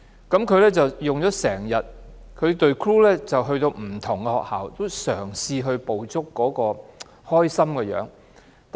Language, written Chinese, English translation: Cantonese, 他拍了一整天，而他的團隊亦前往不同學校拍攝，嘗試捕捉學生開心的樣子。, He had been shooting for the whole day and his team had also gone to different schools trying to capture the happy face of students